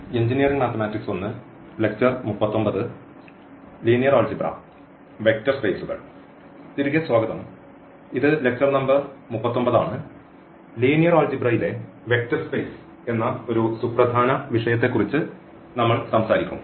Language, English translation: Malayalam, So, welcome back and this is lecture number 39 and we will be talking about a very important topic in Linear Algebra that is a Vector Spaces